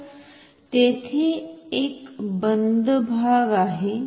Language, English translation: Marathi, So, there is a closed part